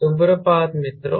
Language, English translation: Hindi, good morning friends